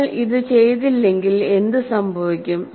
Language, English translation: Malayalam, Now if you don't do this, what happens